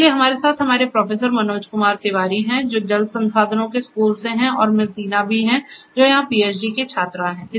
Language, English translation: Hindi, So, we have with us Professor Manoj Kumar Tiwari, from the school of water resources and also Miss Deena, who is the PhD student over here